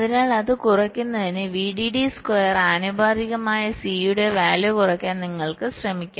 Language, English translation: Malayalam, so to reduce it you can try and reduce the value of c proportional to square of v